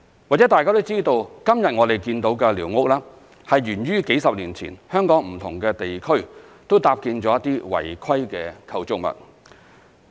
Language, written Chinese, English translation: Cantonese, 或許大家都知道，今天我們看到的寮屋，是源於數十年前，香港在不同地區都搭建了一些違規的構築物。, Perhaps Members know about the origin of the squatters we see today . They originated from illegal structures erected in different districts of Hong Kong several decades ago